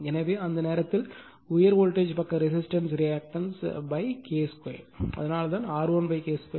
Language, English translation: Tamil, So, in that time high your high voltage side resistance reactance it has to be divided by your K square, so that is why R 1 upon K square